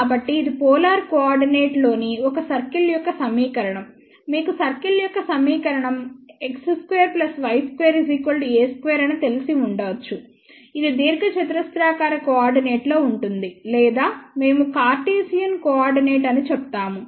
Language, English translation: Telugu, So, this is the equation of a circle in the polar coordinate, you might be familiar with the equation of circle as x square plus y square is equal to a square that is in rectangular coordinate or we say Cartesian coordinate